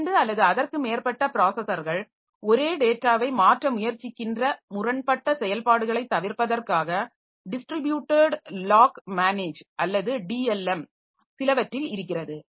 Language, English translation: Tamil, And some have distributed lock manager or DLM to avoid conflicting operations like two or two or more processors they are trying to modify the same data item